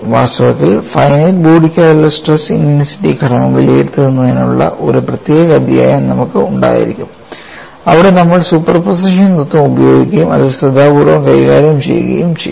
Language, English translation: Malayalam, In fact, we would have a separate chapter on evaluating stress intensity factor for finite bodies, where we would use principle of superposition and we would handle that carefully